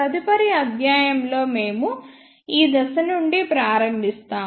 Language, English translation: Telugu, And the next lecture we will start from this point onward